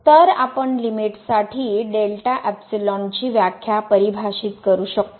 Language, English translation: Marathi, So, we can define delta epsilon definition as for the limit